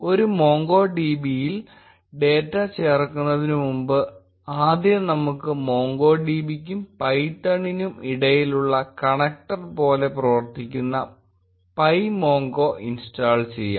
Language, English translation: Malayalam, Before we insert data into a MongoDB, let us first install pymongo which acts like a connector between MongoDB and python